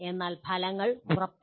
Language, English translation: Malayalam, But results are not guaranteed